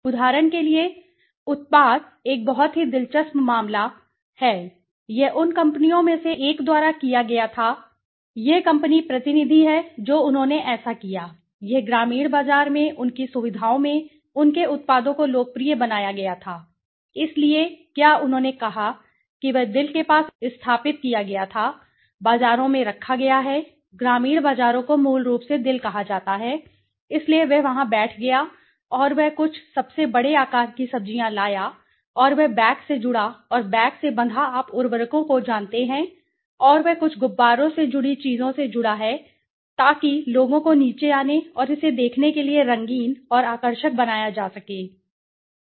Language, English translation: Hindi, For example, you know the products, a very interesting case I will give you this was done by one of the companies I am not citing the company this company is representative what did they do it was popularized his products in the rural market his facilities, so what he did was he set down in the near the heart is placed were in the markets rural markets are called hearts basically so he sat down there and he brought some of the most big sized vegetables right and he connected to the bags and tied to the bags of you know the fertilizers and he then connected in some balloons kind of things so that to make it colorful and attractive for the people to come down and watch it okay, what is happening